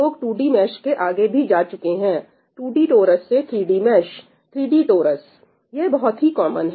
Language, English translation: Hindi, People have gone beyond 2D mesh, 2D torus to 3D mesh, 3D torus, right that is quite common